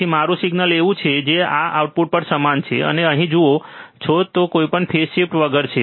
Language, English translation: Gujarati, Then my signal is like this output is also similar which you see here which is without any phase shift